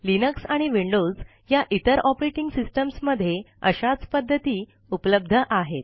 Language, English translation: Marathi, Similar methods are available in other operating systems such as Linux and Windows